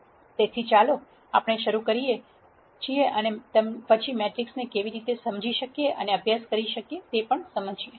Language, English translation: Gujarati, So, let us start and then try and understand how we can understand and study matrices